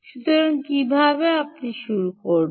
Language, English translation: Bengali, so how do you start